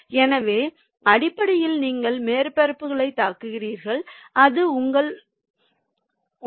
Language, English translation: Tamil, so that is basically the: your hitting surfaces, that is your beater, your the breakage